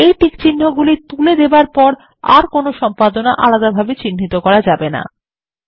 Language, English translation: Bengali, When unchecked, any further editing will not be marked separately